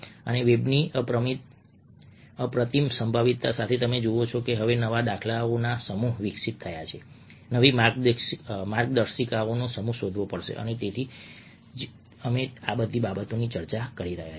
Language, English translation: Gujarati, ok, and with the unparalleled of the web, you see that now a set of new paradigms have evolved, a set of new guidelines have to be explored, and that's the reason we are discussing all those things now